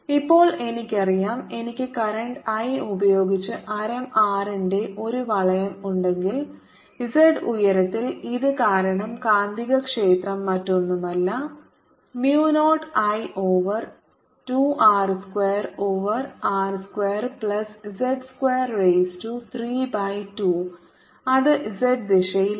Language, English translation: Malayalam, now i know, if i have a ring of radius r with current i, then at height z the magnetic field due to this is nothing but mu zero i over two r square over r square plus z square raise to three by two and it's in the z direction